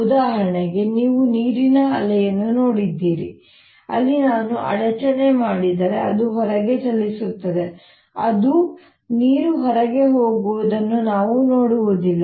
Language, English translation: Kannada, for example, you have seen water waves where, if i make disturbance, the travels out, but we don't see water going out